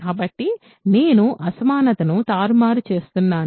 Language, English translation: Telugu, So, I am just inverting the inequality